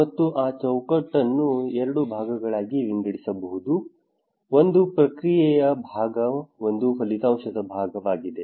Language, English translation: Kannada, And that framework can be divided into two part, one is the process part one is the outcome part